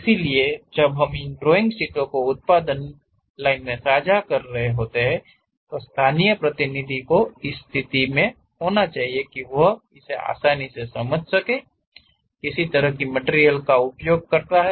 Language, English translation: Hindi, So, when we are sharing these drawing sheets to the production line; the local representative should be in a position to really read, what kind of material one has to use